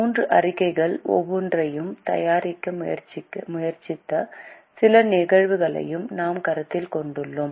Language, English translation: Tamil, We have also considered some cases where we have tried to prepare each of the three statements